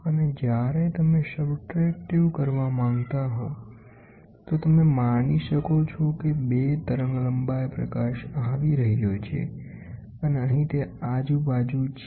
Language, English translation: Gujarati, And when you want to do subtractive, you can suppose you have 2 wavelengths of light coming like this and here it is on the other way around